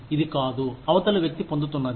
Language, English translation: Telugu, It is not, what the other person is getting